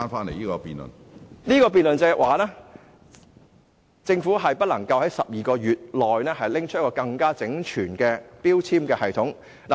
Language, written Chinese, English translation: Cantonese, 我的論點是，政府不能在12個月內提出一個更為整全的標籤系統。, My argument is that I do not think the Government will be able to propose a more comprehensive labelling system in 12 months